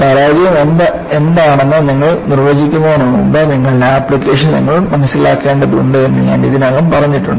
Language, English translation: Malayalam, I have already said, before you define what failure is, you will have to understand your application